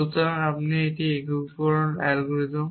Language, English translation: Bengali, So, this unification algorithm